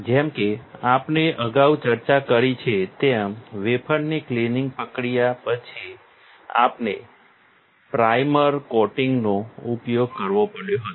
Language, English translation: Gujarati, As we have discussed earlier, after the wafer cleaning process and then the we had to use a primer coating